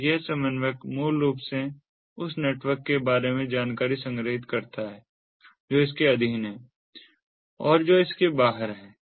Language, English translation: Hindi, so this coordinatorbasically stores information about the network which is under it and which is outside it